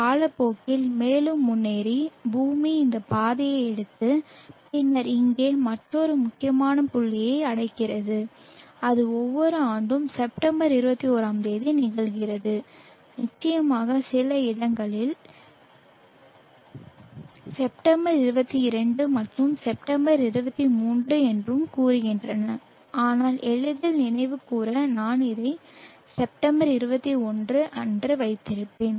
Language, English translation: Tamil, Progressing further in time the earth take this path and then reaches another important point here and that occurs every year September 21st of course some literature say September 22nd this has September 23rd but for easy remembrance I will keep it at September 21st